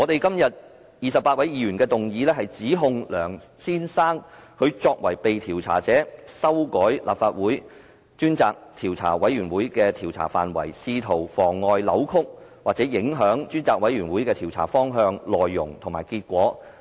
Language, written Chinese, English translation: Cantonese, 今天28位議員提出的議案，是指控梁先生作為被調查者，修改立法會專責委員會的調查範圍，試圖妨礙、扭曲或影響專責委員會的調查方向、內容和結果。, The motion moved by 28 Members today seeks to charge Mr LEUNG as the subject of inquiry with amending the scope of inquiry of the Select Committee of the Legislative Council in an attempt to frustrate deflect or affect the direction course and result of the inquiry to be carried out by the Select Committee